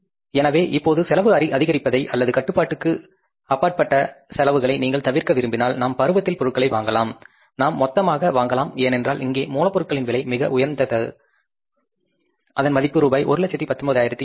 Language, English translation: Tamil, So if you want to avoid now the rising of the cost or cost going beyond control, we can buy during season, we can buy in bulk because here the cost of raw material is the highest